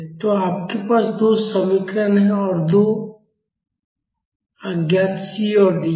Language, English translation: Hindi, So, you have two equations and 2 unknowns C and D